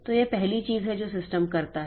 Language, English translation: Hindi, So, this is the first thing that the system does